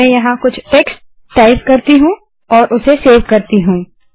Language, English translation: Hindi, Let me type some text here and save it